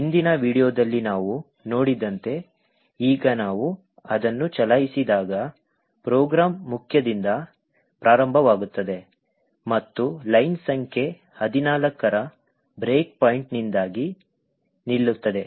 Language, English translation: Kannada, Now when we run it as we have seen in the previous video the program will execute starting from main and stop due to the break point in line number 14